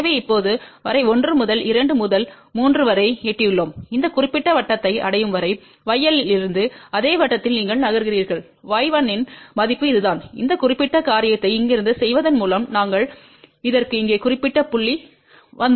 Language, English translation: Tamil, So, till now we have reached from 1 to 2 to 3 then from y L you move along the same circle till you reach this particular circle, read the value of y 1 which is this and by doing this particular thing from here we have come to this particular point here